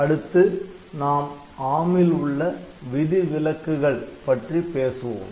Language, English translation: Tamil, So, next, we will be talking about exceptions in ARM